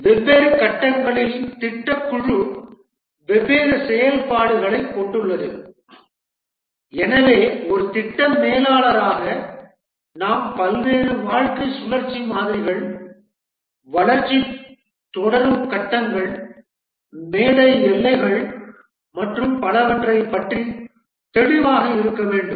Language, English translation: Tamil, At different stages, the project team carries out different activities and therefore as a project manager we must be clear about the various lifecycle models, what are the stages through which the development proceeds, the stage boundaries and so on